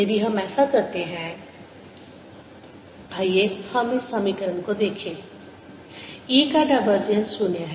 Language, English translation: Hindi, if we do that, lets look at this equation: divergence of e is equal to zero